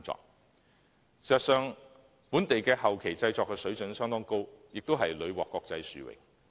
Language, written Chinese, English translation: Cantonese, 事實上，本地後期製作的水準相當高，亦屢獲國際殊榮。, Actually the standard of local postproduction is very high and many international awards have been won too